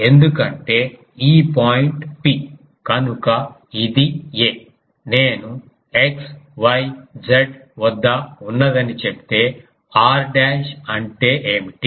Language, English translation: Telugu, Because this point P; so it is a; if I say it is at x y Z; then easily what is r dash